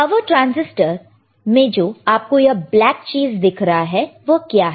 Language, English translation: Hindi, Now, this power transistor this black thing, what is this black thing